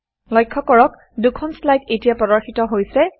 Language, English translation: Assamese, Notice, that two slides are displayed now